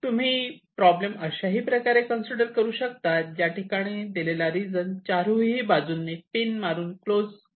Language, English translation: Marathi, or you consider a problem like this where you have an enclosed region by pins on all four sides